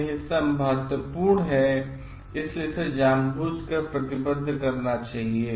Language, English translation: Hindi, This part is important that it should be committed intentionally